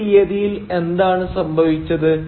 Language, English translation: Malayalam, And what happened on this date